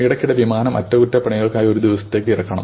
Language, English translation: Malayalam, Periodically aircrafts have to be brought down for a day for maintenance